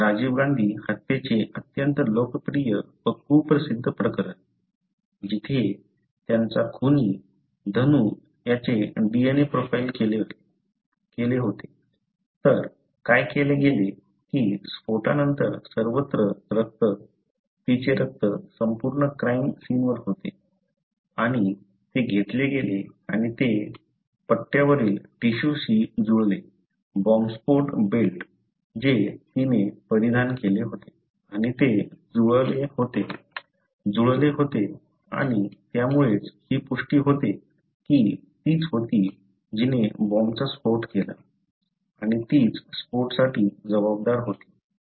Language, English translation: Marathi, One of the very popular, the infamous case of Rajiv Gandhi assassination, where his murderer, Dhanu was DNA profiled; so, what was done is that the blood from all over the, after the explosion the blood, her blood was all over the crime scene and that was taken and that was matched with the tissue on the belt, the bombing belt what she was, which she was wearing and that was matched and that was how it was confirmed that she was the one who was, who detonated the bomb and she was the one who was responsible for the explosion